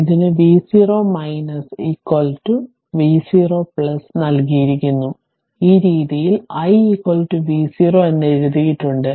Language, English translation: Malayalam, So, it is given v 0 minus is equal to v 0 plus, this way I have written is equal to v 0